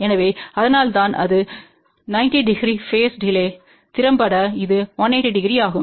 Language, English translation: Tamil, So, that is why effectively this is a 90 degree phase delay, effectively this is 180 degree